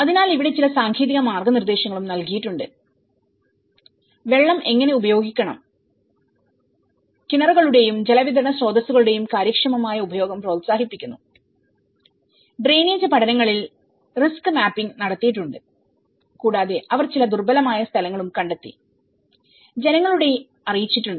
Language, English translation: Malayalam, So, there have been also provided with certain technical guidelines, how to use water and you know promoting an efficient use of wells and water supply resources and risk mapping has been done on the drainage studies and they also identified certain vulnerable locations, so, there have been also communicated to the people